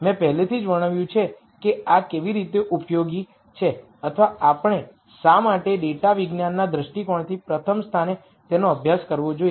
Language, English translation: Gujarati, I already described how these are useful or why we should study them in the rst place from a data science perspective